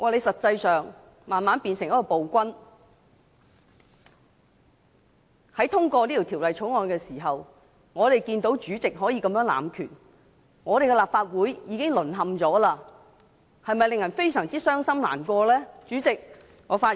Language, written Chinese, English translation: Cantonese, 實際上，你慢慢變成一名暴君，在通過這項《條例草案》的時候，我們看到主席這樣濫權，立法會已經淪陷，的確令人非常傷心難過。, In reality you have gradually become an autocrat . When we see how the President abuses his power in the course of passing this Bill we notice the fall of the Legislative Council and this is very saddening indeed